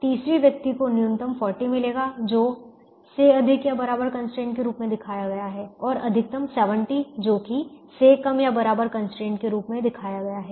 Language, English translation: Hindi, the third person: you will get a minimum of forty, which is shown as a greater than or equal a constraint, and a maximum of seventy, which is shown as a less than or equal to constraints